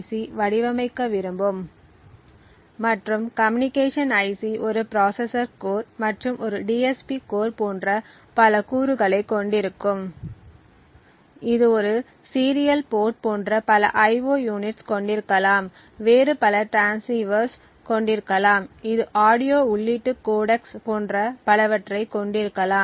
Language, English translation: Tamil, So for instance we have a company which wants to actually design say a communication IC and the communication IC would have several components like a processor core, it may have a DSP core, it may have several IO units like a serial port it, may have various other transceivers, it may have audio input codecs and so on